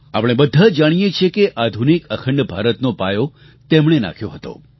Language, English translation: Gujarati, All of us know that he was the one who laid the foundation stone of modern, unified India